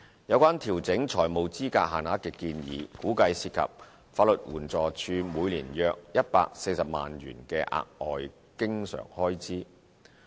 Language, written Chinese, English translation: Cantonese, 有關調整財務資格限額的建議，估計涉及法律援助署每年約140萬元的額外經常開支。, The proposal to increase the financial eligibility limits is estimated to incur an additional recurrent expenditure of around 1.4 million in a full year by the Legal Aid Department LAD